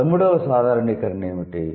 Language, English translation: Telugu, What is the 12th generalization